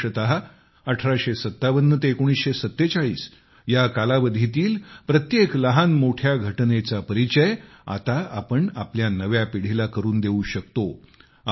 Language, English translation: Marathi, Especially, from 1857 to 1947, we can introduce every major or minor incident of this period to our new generation through stories